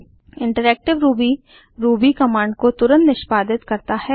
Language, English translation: Hindi, Interactive Ruby allows the execution of Ruby commands with immediate response